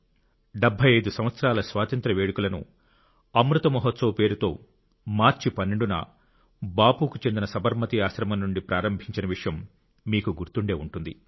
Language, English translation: Telugu, You may remember, to commemorate 75 years of Freedom, Amrit Mahotsav had commenced on the 12th of March from Bapu's Sabarmati Ashram